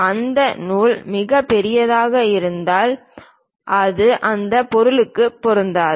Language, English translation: Tamil, Perhaps if that thread is very large perhaps it might not really fit into that object also